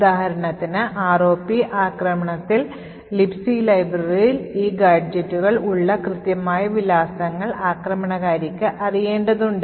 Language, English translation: Malayalam, For example, in the ROP attack, the attacker would need to know the exact addresses where these gadgets are present in the Libc library